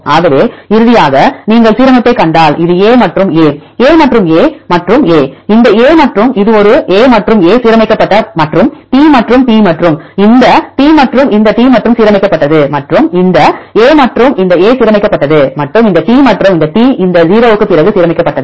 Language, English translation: Tamil, So, finally, if you see the alignment this is A and A, A and A and A, this A and this A right A and A aligned and the T and T this T and this T aligned and this A and this A aligned and this T and this T aligned after this 0